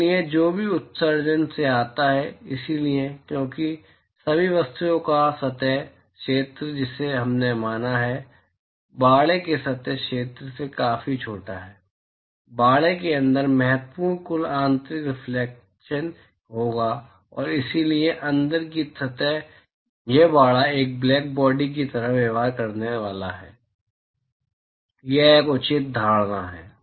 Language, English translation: Hindi, So, whatever emission that comes from, so, because the surface area of all the objects that we have considered is significantly smaller than the surface area of the enclosure, there will be significant total internal reflection inside the enclosure and therefore, the inside surface of this enclosure is going to behave like a blackbody, that is a fair assumption to make